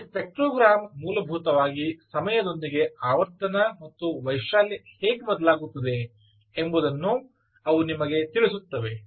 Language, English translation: Kannada, this spectrogram, essentially we will tell you how the frequency and the amplitude changes with time